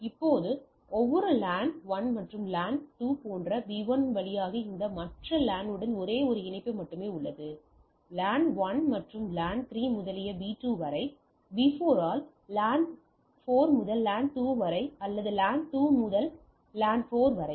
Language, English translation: Tamil, Now you see for every LAN there is only one connectivity to this other LAN like LAN 1 and LAN 2 through B 1; LAN 1 and LAN 3 to B 2; LAN 4 to LAN 2 or LAN 2 to LAN 4 by B 4